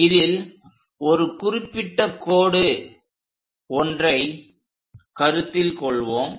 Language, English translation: Tamil, So, let us consider one of the particular line